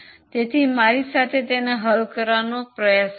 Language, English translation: Gujarati, Please try to solve it with me